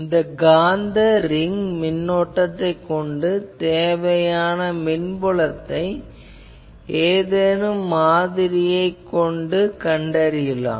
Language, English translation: Tamil, Actually you have a ring magnetic current thus, the electric field required can be found using any of these models